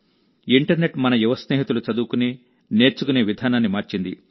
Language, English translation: Telugu, The internet has changed the way our young friends study and learn